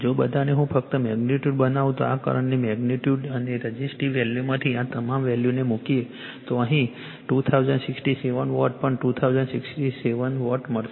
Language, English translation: Gujarati, So, if you just put all these values from the magnitude of this current and the resistive value you will get 2067 Watt here also 2067 watt